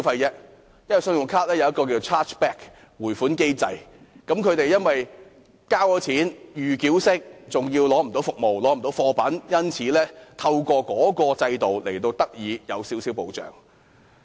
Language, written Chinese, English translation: Cantonese, 根據信用卡的退款保障機制，他們由於以預繳方式付款後無法得到服務或貨品，因而透過制度獲得少許保障。, Under the credit card chargeback mechanism if consumers failed to receive the services or goods after making the pre - payment they are entitled to certain protection